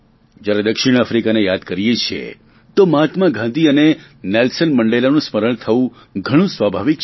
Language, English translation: Gujarati, When we think of South Africa, it is very natural to remember Mahatma Gandhi and Nelson Mandela